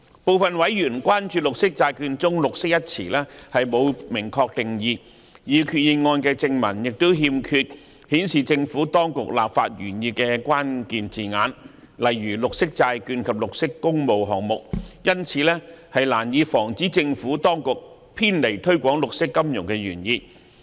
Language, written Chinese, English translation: Cantonese, 部分委員關注綠色債券中"綠色"一詞沒有明確定義，擬議決議案的正文亦欠缺顯示政府當局立法原意的關鍵字眼，例如"綠色債券"及"綠色工務項目"，因此難以防止政府當局偏離推廣綠色金融的原意。, Some members have expressed concerns about the absence of a concise definition of green in green bonds and the absence of key words indicating the Administrations legislative intent such as green bonds and green public works projects in the body text of the proposed resolution which will make it difficult to prevent the Administration from deviating from the intended purpose of promoting green finance